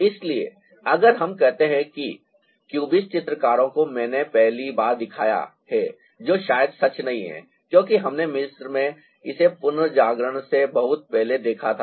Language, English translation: Hindi, so if you see the cubist painters I've shown it for the first time that is, ah, not probably true, because we saw it in egypt also much before renaissance